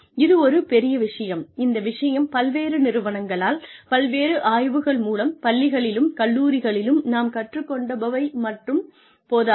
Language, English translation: Tamil, This is one big, this point has been brought up, by various organizations, through various studies that, whatever we are teaching in schools and colleges, is probably not enough